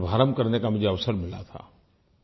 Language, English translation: Hindi, I had the opportunity to inaugurate it